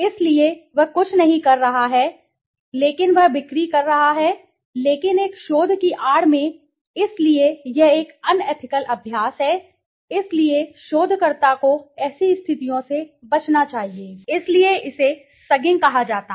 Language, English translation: Hindi, So, he is doing nothing but he is doing a sales but in the guise of a research, so this is an unethical practice so researchers should avoid such situations, so this called sugging